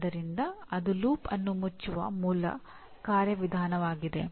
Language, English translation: Kannada, So that is the basic mechanism of closing the loop